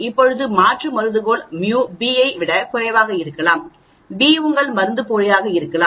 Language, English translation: Tamil, Now the alternate hypothesis could be mu a less than mu b, b could be your placebo, a could be your drug